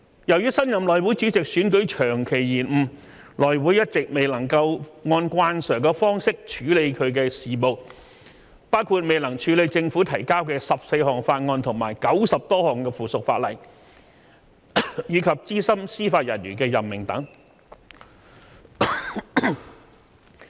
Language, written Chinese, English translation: Cantonese, 由於新任內會主席選舉長期延誤，內會一直未能按慣常方式處理其事務，包括未能處理政府提交的14項法案和90多項附屬法例，以及資深司法人員的任命等。, Owing to the serious delay in electing the new Chairman of the House Committee during this period of time the House Committee could not deal with any business in its conventional way including 14 bills and over 90 pieces of subsidiary legislation submitted by the Government as well as the proposed senior judicial appointments